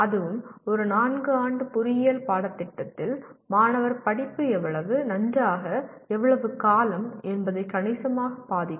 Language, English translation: Tamil, That too in a 4 year engineering course it will significantly influence how well and how long the student study